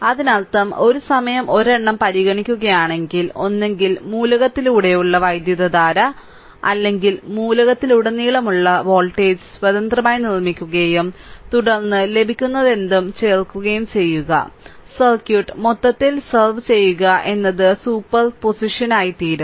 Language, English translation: Malayalam, So, later we will see and that; that means, if consider one at a time, then either current through element or voltage across element independently you make made it and then you then you add it up whatever you will get, you serve the circuit as a whole you will get the same thing right that that is super position